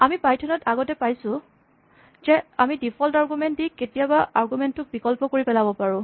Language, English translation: Assamese, Now we have seen earlier that in python functions, we can provide default arguments which make sometimes the argument optional